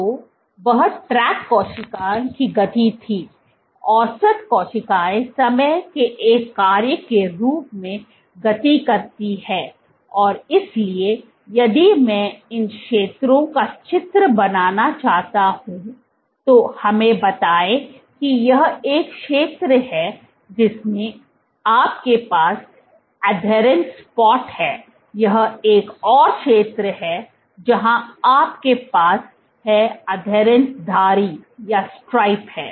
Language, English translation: Hindi, So, what the tract was the cell speed, the average cells speed as a function of time and so if I want to draw these zones let us say this is one zone in which you have an adherence spot, this is another zone where you have the adherence stripe